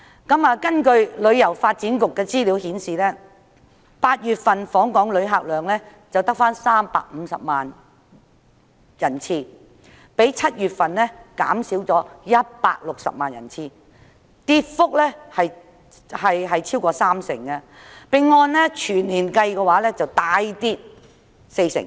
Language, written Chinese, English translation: Cantonese, 根據香港旅遊發展局的資料 ，8 月份的訪港旅客只有350萬人次，較7月份減少了160萬人次，跌幅超過三成，全年計則大跌四成。, According to information from the Hong Kong Tourism Board there were only 3.5 million visitor arrivals to Hong Kong in August a decrease of 1.6 million or more than 30 % from the July figure . The year - on - year drop is a whopping 40 %